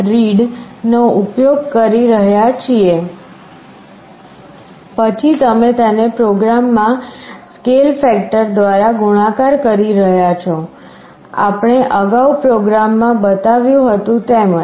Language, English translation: Gujarati, read(), then you are multiplying it by a scale factor just like in the program that we showed earlier